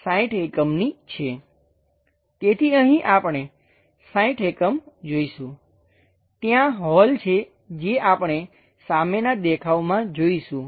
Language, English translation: Gujarati, So, here we will see 60 units, there is a hole which we will see in the front view